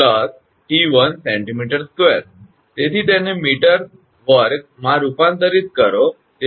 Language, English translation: Gujarati, So, convert it to meter square